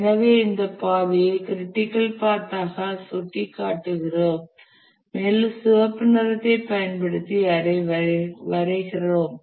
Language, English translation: Tamil, So, we indicate this path as the critical path we will draw it using red color